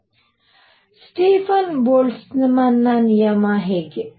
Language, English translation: Kannada, How about Stefan Boltzmann’s law